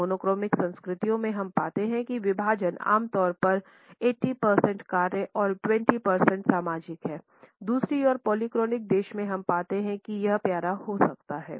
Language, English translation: Hindi, In monochronic cultures we find that the division is typically 80 percent task and 20 percent social, on the other hand in polychronic countries we find that it may be rather cute